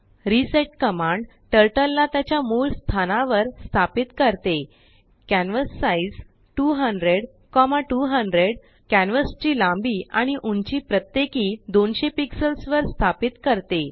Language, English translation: Marathi, I will Explain the code now reset command sets Turtle to its default position canvassize 200,200 fixes the width and height of the canvas to 200 pixels each